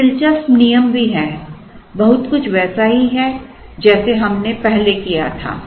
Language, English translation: Hindi, There is also an interesting rule very similar to what we did in the last time